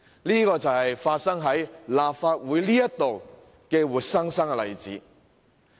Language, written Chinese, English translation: Cantonese, 這便是發生在立法會的活生生例子。, It was a living example that occurred in the Legislative Council